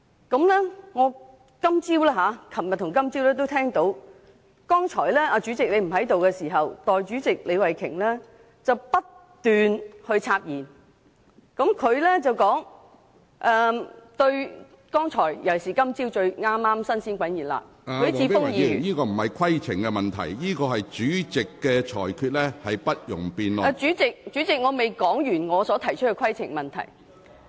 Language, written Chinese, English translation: Cantonese, 我在昨天及今天早上也留意到，當主席剛才不在席時，代理主席李慧琼議員不斷插言，她說對剛才——特別是今天早上，剛發言的許智峯議員......主席，我未說完我想提出的規程問題。, I noticed yesterday and this morning that when the President was not present Deputy President Ms Starry LEE kept interrupting Members . She said particularly this morning that Mr HUI Chi - fung who had just spoken President I have not yet finished the point of order that I am trying to raise